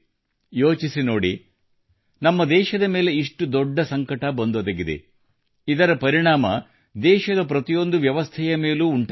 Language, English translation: Kannada, Think for yourself, our country faced such a big crisis that it affected every system of the country